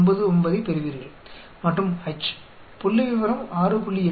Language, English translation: Tamil, 99 and the H the statistics comes to be 6